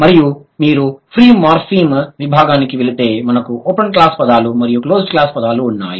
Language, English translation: Telugu, And if you go to the free morphem section, we have open class words and closed class words